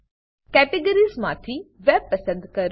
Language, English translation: Gujarati, From the Categories, choose Web